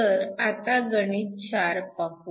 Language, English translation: Marathi, So, let me go to problem 4